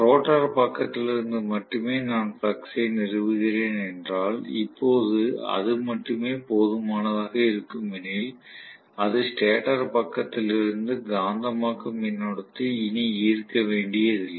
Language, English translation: Tamil, So, if I am establishing the flux only from the rotor side, which is sufficient enough at this juncture, it does not have to draw anymore magnetising current from the stator side